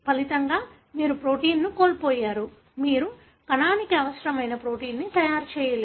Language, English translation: Telugu, As a result, you have lost the protein; you are unable to make the protein that is required by the cell